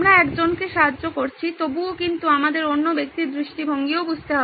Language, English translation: Bengali, Still we are helping out one person but we need to understand the other person’s perspective also